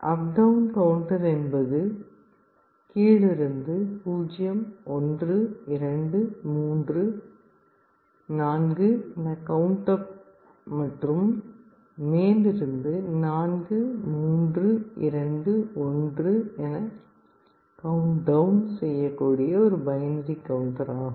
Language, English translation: Tamil, Up/down counter is a binary counter which can either count up 0, 1, 2, 3, 4 or it can count down 4, 3, 2, 1